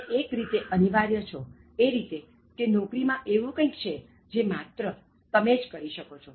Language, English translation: Gujarati, You are indispensable in the sense that, there is something in the job which only you can do the way you are doing it